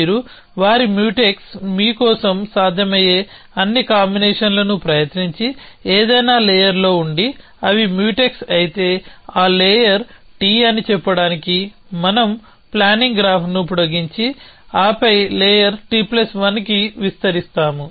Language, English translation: Telugu, So, you find that their Mutex for you, if you have tried all possible combinations and at some layer and they are Mutex, then we extend the planning graph to let say it was that layer T, and then extend it to layer T plus one and then we come back and search